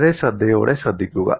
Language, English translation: Malayalam, And also listen very carefully